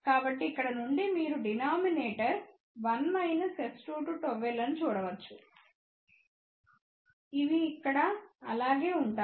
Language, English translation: Telugu, So, from here you can see that denominator is 1 minus S 2 2 gamma L which remain same here